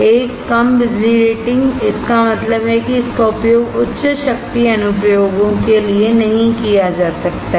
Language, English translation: Hindi, One low power rating; that means, it cannot be used for high power applications